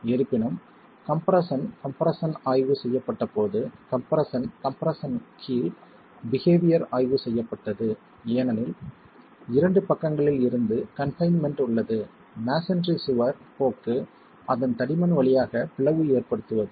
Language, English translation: Tamil, However, when compression compression was examined, behavior under compression compression was examined, the tendency of the, because of the confinement from two sides, the tendency of the masonry wall was to split along its thickness